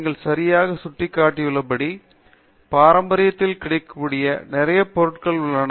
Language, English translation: Tamil, So, as you rightly pointed out there is lot of material available in tradition